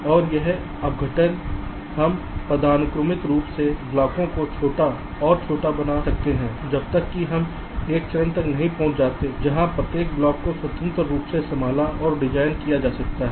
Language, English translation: Hindi, ok, and this decomposition we can carry out hierarchically, making the blocks smaller and smaller until we reach a stage where each of the blocks can be handled and designed independently